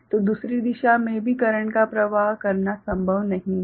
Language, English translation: Hindi, So, it is not possible to flow current in the other direction as well